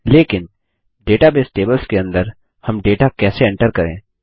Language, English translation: Hindi, But, how do we enter data into the database tables